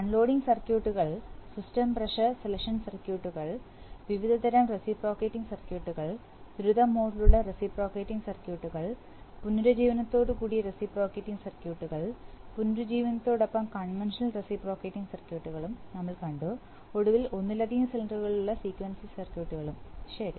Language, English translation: Malayalam, We have seen unloading circuits, system pressure selection circuits, various kinds of reciprocating circuits, reciprocating circuits with rapid modes, reciprocating circuits with regeneration, reciprocating circuits with regeneration plus conventional and finally we have seen sequencing circuits which are basically reciprocate, reciprocating circuits with multiple cylinders, okay